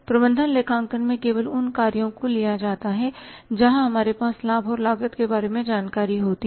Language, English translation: Hindi, In the management accounting only those actions are taken where we have with thus the information about benefits and cost